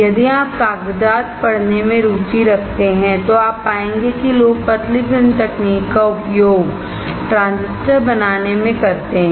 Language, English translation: Hindi, If you are interested in reading papers then you will find that people use the thin film technology to fabricate transistors